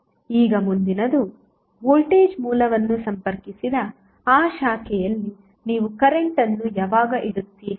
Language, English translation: Kannada, Now, next is that, when you will place the current in that branch where voltage source was connected